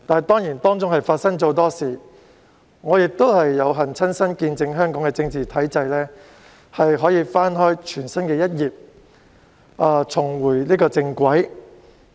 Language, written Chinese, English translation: Cantonese, 過程中發生了很多事情，而我亦有幸親身見證香港的政治體制可以翻開全新一頁，重回正軌。, In the process many events have taken place and I am fortunate enough to be an eye witness of how the political institution of Hong Kong can begin a brand new page and get back on track